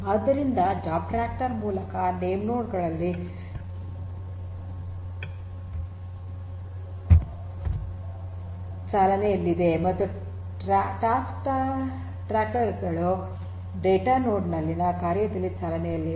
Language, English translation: Kannada, So, are these concepts of the job tracker and task tracker, the job tracker are basically running at the name nodes and the task trackers are running in the task in the data node right